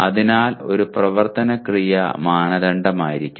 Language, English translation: Malayalam, So one action verb should be the norm